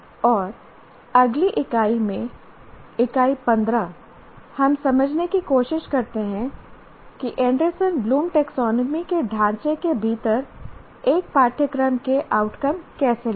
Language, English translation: Hindi, And in the next unit, unit 15, we try to understand how to write outcomes of a course within the framework of Anderson Bloom Taxone